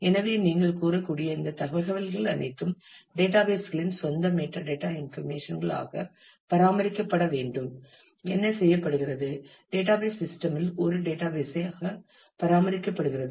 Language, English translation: Tamil, So, all of these information which you can say is databases own metadata information needs to be also maintained; and what is done is that; also is maintained as a database within the database system